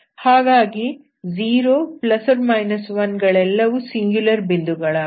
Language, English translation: Kannada, 0, plus or 1 are singular points